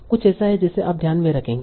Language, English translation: Hindi, This is something that you have to keep in mind